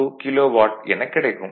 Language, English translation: Tamil, 712 kilo watt